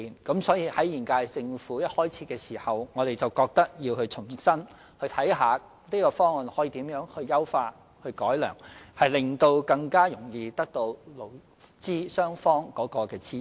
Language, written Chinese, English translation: Cantonese, 因此，現屆政府任期開始時，即認為有需要重新檢視這項方案，研究如何優化、改良，務求取得勞資雙方的支持。, This is why the current - term Government at the beginning of its term considered it necessary to review afresh this proposal and study how it can be improved or refined in order to win the support of both employers and employees